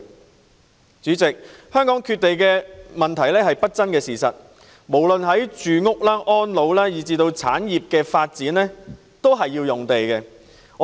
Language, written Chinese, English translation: Cantonese, 代理主席，香港缺地的問題是不爭的事實，無論是市民住屋、安老服務以至產業的發展均需要土地。, Deputy President it is an undisputable fact that Hong Kong lacks land . The development of housing for people elderly services and industries all require land